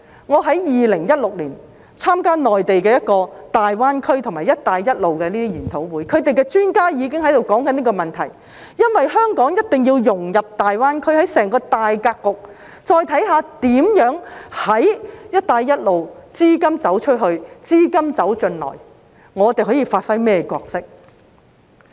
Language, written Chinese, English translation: Cantonese, 我在2016年參加內地一個大灣區和"一帶一路"研討會的時候，場內專家已開始討論這個問題，因為香港一定要融入大灣區，看看在整個大格局中，"一帶一路"如何"資金走出去、資金走進來"，當中我們可以發揮甚麼角色。, When I attended a seminar on the Greater Bay Area and the Belt and Road Initiative in the Mainland in 2016 the experts there already started to discuss this issue . It is because Hong Kong must integrate into the Greater Bay Area and see how the outflow and inflow of capital is achieved under the Belt and Road Initiative in the overall matrix as well as what role we can play therein